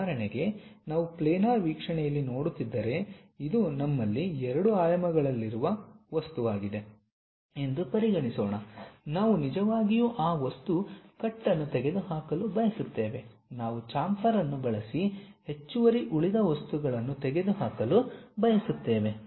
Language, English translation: Kannada, For example, if we are looking it in the planar view, let us consider this is the object what we have in 2 dimension, we want to really remove that material cut, remove the extra remaining material if we do that we call that one as chamfer